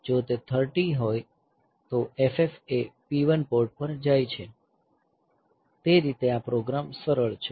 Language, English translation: Gujarati, If it is 30, then it goes to port F F goes to P 1, so that way the program is simple